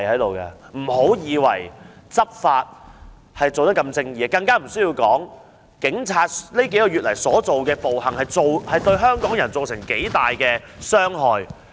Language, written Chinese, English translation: Cantonese, 別以為執法的一定正義，警察在過去數月的暴行，已不知對香港人造成多大傷害。, Never think that those law enforcement agents will definitely do justice . The brutality of the Police in the past few months has inflicted immeasurable harm on the people of Hong Kong